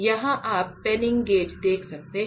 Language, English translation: Hindi, So, here you can see the penning gauge here